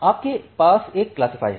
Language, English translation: Hindi, So you have a classifier